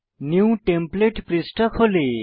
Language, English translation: Bengali, New template property page opens